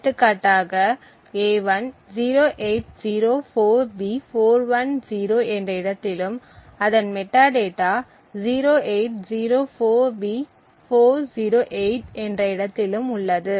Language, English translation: Tamil, So, for example a1 is at a location 0804B410 and the metadata corresponding to a 1 is at the location 0804B408